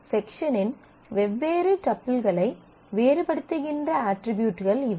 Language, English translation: Tamil, These are the attributes which distinguish different tuples of section